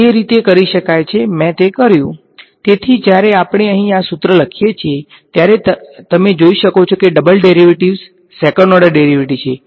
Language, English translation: Gujarati, So, when we write this expression out over here, you can see that there are double derivatives second order derivatives